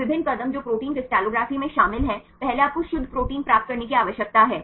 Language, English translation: Hindi, So, the various steps which are involved in the protein crystallography, first you need to get the pure protein